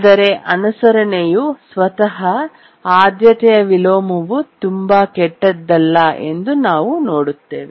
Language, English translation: Kannada, But as we will see now that priority inversion by itself is not too bad